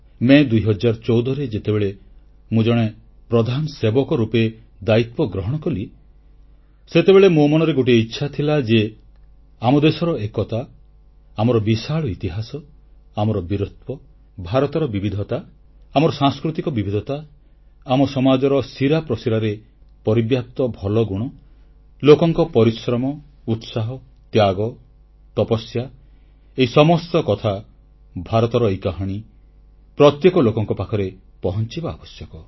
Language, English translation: Odia, And in 2014, when I took charge as the Pradhan Sevak, Principal Servant, it was my wish to reach out to the masses with the glorious saga of our country's unity, her grand history, her valour, India's diversity, our cultural diversity, virtues embedded in our society such as Purusharth, Tapasya, Passion & sacrifice; in a nutshell, the great story of India